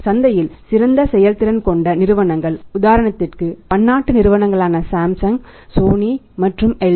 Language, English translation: Tamil, For the firms who are excellent performance in the market for example these multinational companies Samsung, Sony and LG you talk about